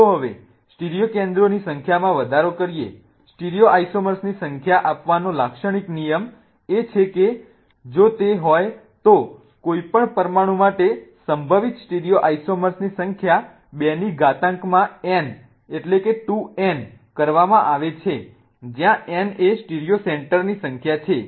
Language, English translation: Gujarati, The typical rule to give out the number of stereo isomers is that if it is the number of possible stereosomers for any molecule is to raise to n where n is a number of stereo centers